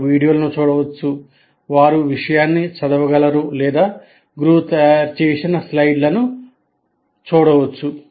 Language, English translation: Telugu, They can look at videos, they can read the material or they can look at the slides prepared by the teacher, all that can happen